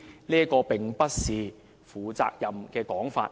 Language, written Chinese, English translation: Cantonese, 這並不是負責任的說法。, This is an irresponsible remark